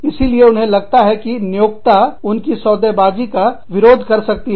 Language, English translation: Hindi, So, they feel that, the employer could oppose their bargaining